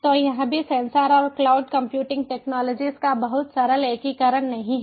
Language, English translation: Hindi, so here also it is not a very simple integration of sensors and cloud computing technologies